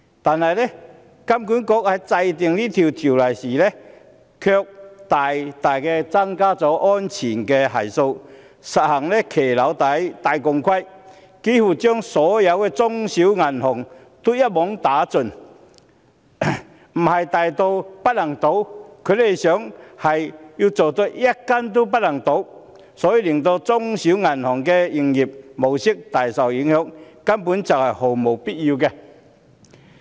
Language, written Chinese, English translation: Cantonese, 但是，香港金融管理局在制訂這項規定時，卻加大了安全系數，實行"行騎樓底戴鋼盔"，幾乎把所有中小型銀行一網打盡，不是要做到大到不能倒，而是要做到一間也不能倒，令中小型銀行的營運模式大受影響，這根本是毫無必要的。, However in drafting the Rules the Hong Kong Monetary Authority HKMA has increased the safety factor so much so that it is like walking under the balcony wearing a steel safety helmet putting almost all small and medium banks under regulation . Instead of preventing large banks from failing the Rules is trying to prevent all banks from failing thus seriously affecting the business operation of small and medium banks . This is totally unnecessary